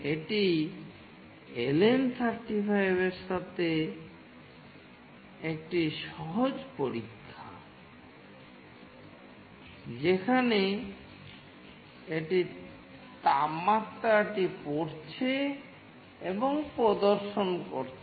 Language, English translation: Bengali, This is a simple experiment with LM35, where it is reading the temperature and is displaying it